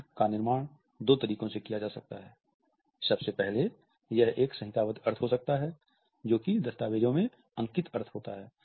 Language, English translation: Hindi, The meaning may be constructed in two ways, firstly, it may be a codified meaning which has got a well written and well documented meaning